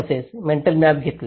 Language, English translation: Marathi, Also, taken the mental maps